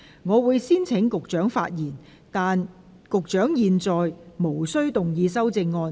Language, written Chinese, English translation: Cantonese, 我會先請局長發言，但他在現階段無須動議修正案。, I will first call upon the Secretary to speak but he is not required to move his amendments at this stage